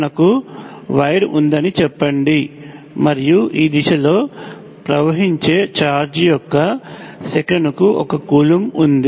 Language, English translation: Telugu, Let say we have wire and we have 1 coulomb per second of charge flowing in this direction